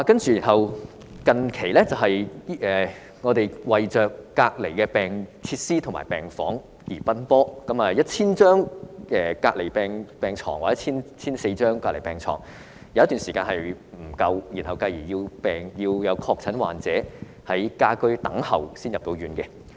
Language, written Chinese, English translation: Cantonese, 最近，我們為隔離設施和病房而奔波 ，1,000 張或 1,400 張隔離病床有一段時間不足以應付需求，以致有確診患者要在家居等候入院。, We have been rushing about for isolation facilities and wards recently . For some time the 1 000 or 1 400 isolation beds are insufficient to meet the demand such that some confirmed patients had to wait for admission to hospital at their home